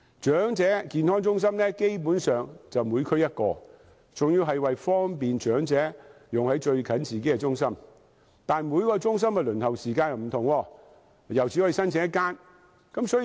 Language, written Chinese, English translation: Cantonese, 長者健康中心基本上每區一間，原意是為方便長者使用就近自己的中心，但每一間中心的輪候時間不同，而且只可以申請一間中心。, Basically there is one EHC in each district . The original intent is to facilitate the elderly people in the district to use EHC in their respective districts